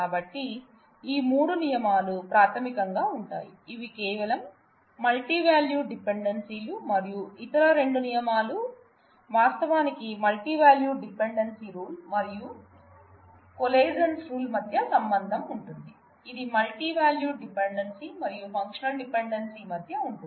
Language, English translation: Telugu, So, these are the these are the 3 rules which are basically these 3 are rules that, involve only multi valued dependencies and the other 2 rules, actually involve the relationship between multi value dependency the replication rule and the coalescence rule, which are between the multi value dependency and the functional dependency